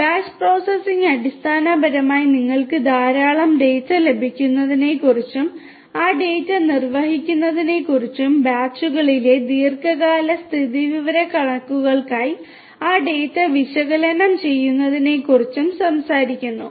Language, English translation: Malayalam, Batch processing basically you know talks about getting lot of data, executing those data, analyzing those data for long term statistics in batches, right